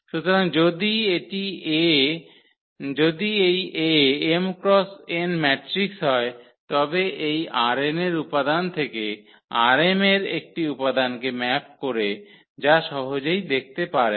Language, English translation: Bengali, So, if this A is m cross n matrix then it maps element form R n to one element in R m and this one can see easily